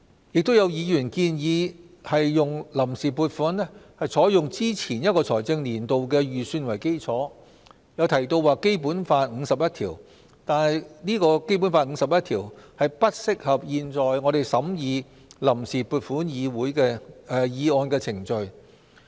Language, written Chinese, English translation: Cantonese, 亦有議員建議臨時撥款採用之前一個財政年度的預算為基礎，又提到《基本法》第五十一條，但《基本法》第五十一條並不適用於現時正在審議的臨時撥款議案的程序。, We are just observing the requirements of the Public Finance Ordinance and the long - standing reasonable practice . Another Member suggested that the provisional appropriation should adopt the estimates of the previous fiscal year as the basis . He also mentioned Article 51 of the Basic Law but Article 51 of the Basic Law is not applicable to the Vote on Account Resolution which is being scrutinized this time around